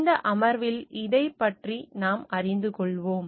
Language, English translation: Tamil, So, we will learn about this in this present session